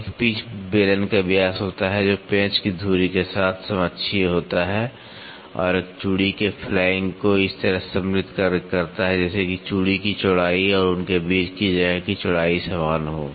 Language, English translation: Hindi, It is the diameter of a pitch cylinder, which is coaxial with the axis of the screw and in and inserts the flank of a thread, in such a way as to make the width of the thread and the width of the space between them equal